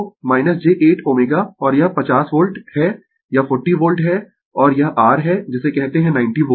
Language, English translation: Hindi, So, minus j 8 ohm and it is 50 volt it is 40 volt and it is your what you call 90 volt